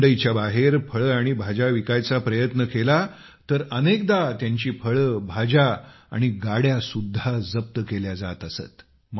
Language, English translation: Marathi, If he used to sell his fruits and vegetables outside the mandi, then, many a times his produce and carts would get confiscated